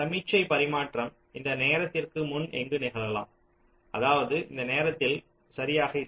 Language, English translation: Tamil, it means that the signal transmission can take place anywhere before this time not exactly at this time, right